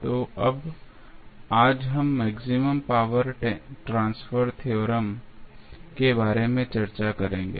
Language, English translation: Hindi, So, now, today we will discuss about the maximum power transfer theorem